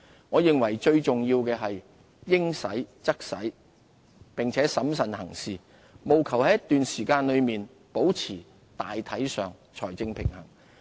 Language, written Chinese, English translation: Cantonese, 我認為最重要是應使則使並審慎行事，務求在一段時間內保持大體上財政平衡。, I consider that it is most important to spend only when necessary and to act with prudence and strive for an overall fiscal balance over time